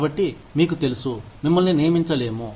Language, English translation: Telugu, So, you know, you cannot be hired